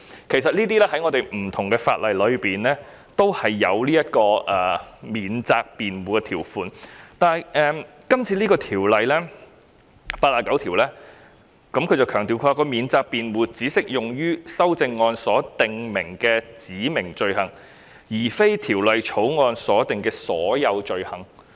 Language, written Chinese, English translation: Cantonese, 其實在香港多項法例中也有免責辯護條款，但《條例草案》第89條強調免責辯護只適用於修正案所訂明的罪行，而非《條例草案》所訂的所有罪行。, In fact many Hong Kong laws have also included a defence provision . Nevertheless it is emphasized in Clause 89 of the Bill that the defence provision only applies to offences set out in the amendments but not all offences under the Bill